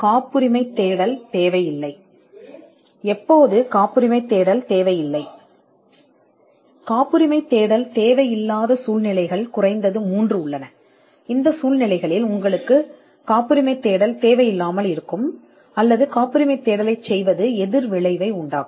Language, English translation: Tamil, When a patentability search is not needed there are at least three cases, where you will not need a patentability search or rather doing a patentability search would be counterproductive